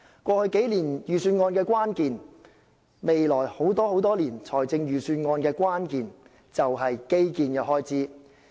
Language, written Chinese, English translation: Cantonese, 過去數年預算案的關鍵及未來很多年預算案的關鍵，都是基建開支。, As regards the budgets over the past years and in the coming years the key element has been and will be invariably infrastructure expenditure